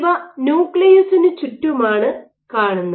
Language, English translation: Malayalam, So, which are present around the nucleus